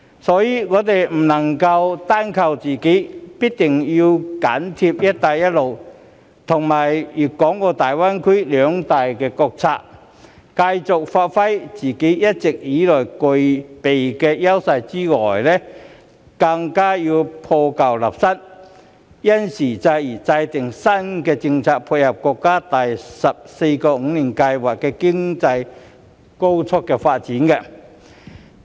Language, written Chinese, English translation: Cantonese, 所以，我們不能單靠自己，必定要緊貼"一帶一路"及粵港澳大灣區兩大國策，除繼續發揮自己一直以來具備的優勢以外，更要破舊立新，因時制宜制訂新的政策配合國家第十四個五年規劃的經濟高速發展。, For these reasons we cannot possibly rely on our sole efforts and we must instead cling to the two major state policies on the development of the Belt and Road and also the Guangdong - Hong Kong - Macao Greater Bay Area . Apart from persisting in playing to our established strengths we must also reform our old mindset and formulate new policies based on the needs of the times to dovetail with the countrys rapid economic development brought by its 14 Five - Year Plan